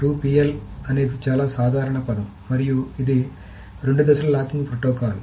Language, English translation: Telugu, The 2PL is a more common term probably and this is the 2 phase locking protocol